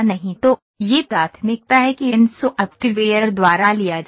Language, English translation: Hindi, So, this is the priority that is taken by these software